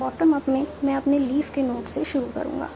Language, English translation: Hindi, In bottom bottom up, I will start with my leaf notes